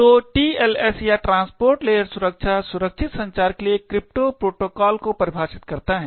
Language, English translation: Hindi, So, the TLS or the transport layer security defines a crypto protocol for secure communication